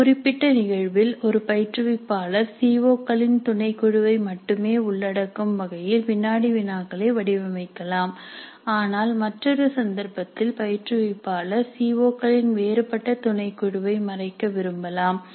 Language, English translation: Tamil, In a specific instant an instructor may design quizzes to cover only a subset of the COs but in another instance the instructor will wish to cover a different subset of COs